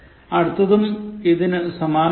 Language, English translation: Malayalam, The second one is similar to this